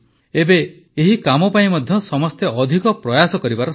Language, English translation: Odia, Now is the time to increase everyone's efforts for these works as well